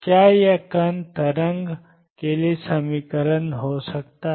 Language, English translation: Hindi, Can this be equation for the particle waves